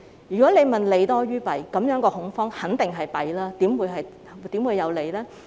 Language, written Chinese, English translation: Cantonese, 如果你問這是否利多於弊，這種恐慌肯定只有弊，怎會有利呢？, If you ask me whether this would do more good than harm such kind of panic would definitely do harm only how would it do good?